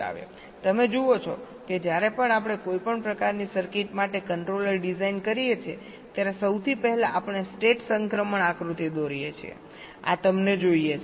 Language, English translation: Gujarati, you see, whenever we design a controller for any kind of circuit, with the first thing we do is that we draw a state transition diagram